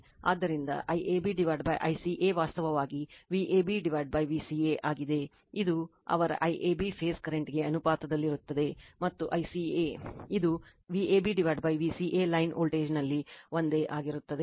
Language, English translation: Kannada, So, I AB upon I CA actually is V AB upon V CA, it is proportional to their your I AB phase current and I CA it is just a same thing at the line voltage V ab upon V ca right